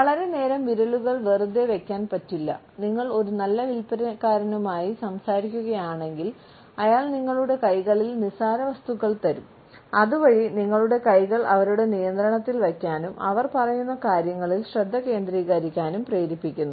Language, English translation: Malayalam, The fingers are never empty for a very long time, if you are talking to a good salesperson, they would pass on petty objects in your hands so that you can occupy your hands and focus on what they are saying